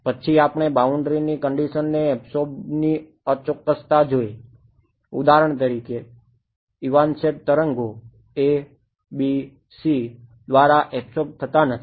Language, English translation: Gujarati, Then we looked at the inaccuracy of absorbing boundary conditions for example, evanescent waves are not absorbed by ABC